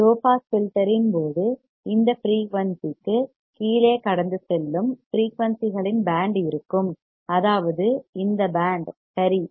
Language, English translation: Tamil, In case of low pass filter there will be band of frequencies that will pass below this frequency that means, this one right this band alright